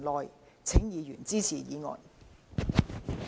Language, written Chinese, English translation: Cantonese, 謹請議員支持議案。, I implore Members to support the motion